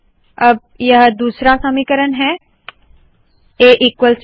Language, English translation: Hindi, Let us now delete the A equals B equation